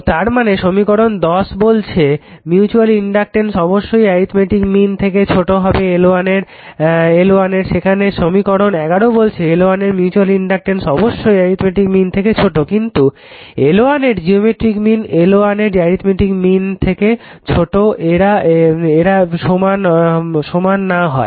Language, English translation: Bengali, So, ; that means, equations 10 state that a mutual inductance must be less than the arithmetic mean of L 1 L 2, while equation eleven states that mutual inductance must be less than the geometric mean of L 1 and L 2